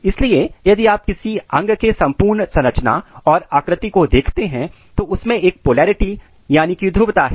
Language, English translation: Hindi, So, if you look the proper or complete structure or shape of an organ it has mostly polarity